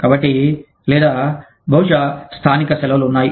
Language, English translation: Telugu, And so, or, maybe, there are local holidays